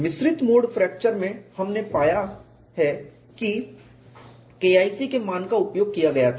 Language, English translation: Hindi, In mixed mode fracture we have found the K 1c value was used